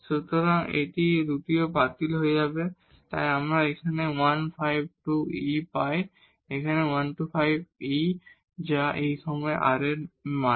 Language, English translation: Bengali, So, this 2 also gets cancelled, so we get 15 over 2 e, it is 15 over 2 e that is a value of r at this point